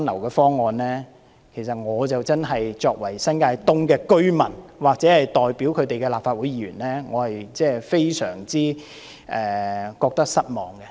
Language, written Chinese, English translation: Cantonese, 對我無論作為新界東的居民，或代表他們的立法會議員，對此都感到非常失望。, From my perspective as a resident in New Territories East or as the Legislative Council Members representing these residents it comes as a great disappointment